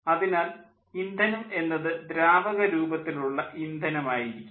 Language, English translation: Malayalam, so fuel could be a liquid fuel